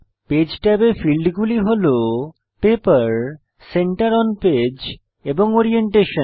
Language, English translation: Bengali, Page tab contains fields like Paper, Center on Page and Orientation